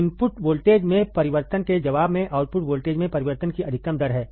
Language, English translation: Hindi, Slew rate is the maximum rate of change in the output voltage in response to the change in input voltage